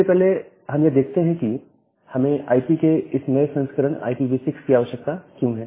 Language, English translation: Hindi, So, first of all why do we require this new version of IP which is IPv6